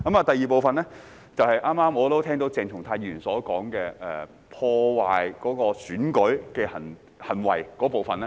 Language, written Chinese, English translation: Cantonese, 第二部分，便是剛剛我聽到鄭松泰議員所說有關破壞選舉的行為那部分。, The second part is the part I have just heard from Dr CHENG Chung - tai about the conduct which undermine the election